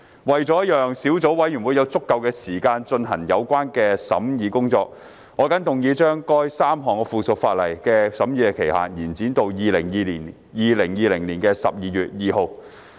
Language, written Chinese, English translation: Cantonese, 為了讓小組委員會有足夠時間進行有關的審議工作，我謹動議將該3項附屬法例的審議期限延展至2020年12月2日。, In order to give the Subcommittee sufficient time to conduct the scrutiny I move that the period for scrutinizing the three pieces of subsidiary legislation be extended to 2 December 2020